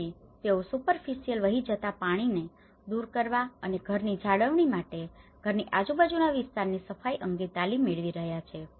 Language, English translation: Gujarati, So, they have been got training on the cleaning the area around the house removing superficial run off water, house maintenance